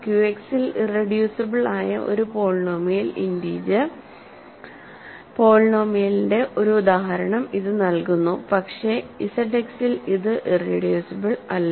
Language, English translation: Malayalam, So, this gives you an example of a polynomial integer polynomial which is irreducible in Q X, but it is not irreducible in Z X